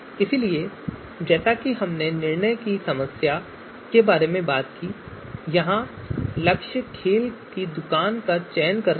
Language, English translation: Hindi, So as we talked about the decision problem, goal is choice of a sports shop